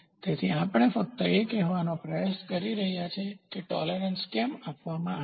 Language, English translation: Gujarati, So, we are just trying to say why is tolerance given